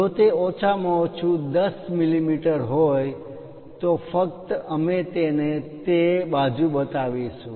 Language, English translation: Gujarati, If it is minimum 10 mm then only we will show it in that side